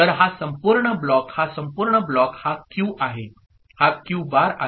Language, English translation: Marathi, this whole block this is Q, this is Q bar